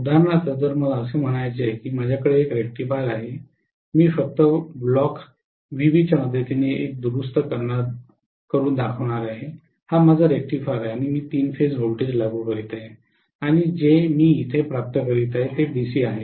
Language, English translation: Marathi, For example if let us say I have a rectifier I am going to show a rectifier just with the help of a block VB this is my rectifier and I am applying a three phase voltage and what I am getting here is DC